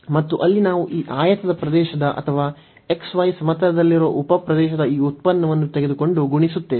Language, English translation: Kannada, And there we take this product of the area of this rectangle or the sub region in the x, y plane and multiplied by this height